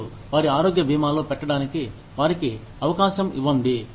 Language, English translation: Telugu, And, give them the opportunity, to put into their health insurance